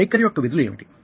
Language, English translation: Telugu, so what are the functions of attitudes